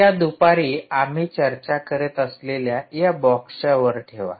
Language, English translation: Marathi, so take this midday and put it on top of this box that we were discussing